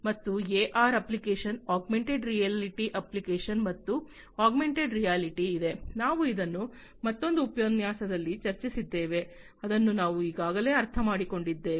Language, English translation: Kannada, And there is a AR app Augmented Reality app and augmented reality, we have discussed it in another lecture what is augmented reality we have already understood it